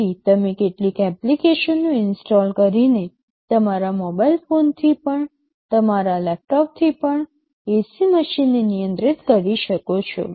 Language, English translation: Gujarati, So, you can control the AC machine even from your mobile phone, even from your laptops by installing some apps